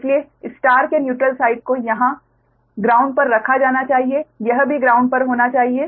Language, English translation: Hindi, so neutral side of the star should be grounded